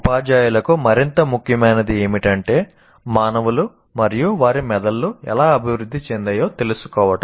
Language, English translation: Telugu, So what is more important is for teachers to know how humans and their brains develop